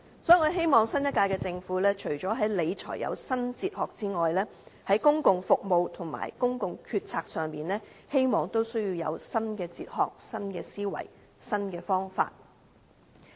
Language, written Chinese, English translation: Cantonese, 所以我希望新一屆政府除在理財方面有新哲學外，在公共服務和公共決策上也有新的哲學、思維和方法。, So apart from the new philosophy of fiscal management advocated by the new Government I hope there are also new philosophy mindset and methods in public service and decision - making procedures